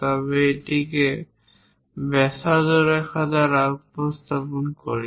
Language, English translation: Bengali, And if there are any curves we represent it by a radius line